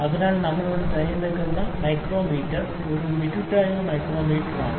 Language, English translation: Malayalam, So, micrometer that we have selected here is a Mitutoyo micrometer